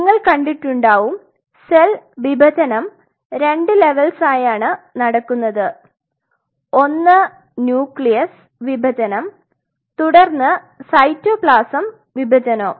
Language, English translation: Malayalam, So, you must have seen that there are two level of divisions which takes place one is the nucleus divide and then the cytoplasm divides